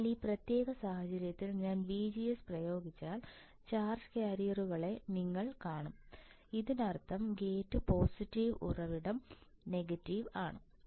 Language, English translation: Malayalam, So, in this particular case you see the charge carriers if I apply VGS; that means, like this and apply negative gate positive; gate is positive source is negative